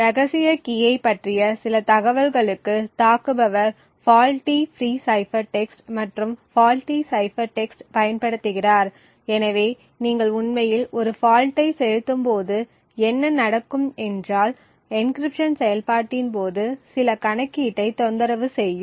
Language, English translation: Tamil, The attacker then uses a fault free cipher text and the faulty cipher text to in some information about the secret key, so what happens when you actually inject a fault is that some computation during the process of encryption gets disturbed